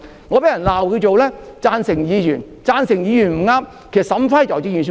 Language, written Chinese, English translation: Cantonese, 我被人指責為"贊成議員"，"贊成議員"就是處事不當。, I have been accused of being a yes - Member which denotes a Member not working properly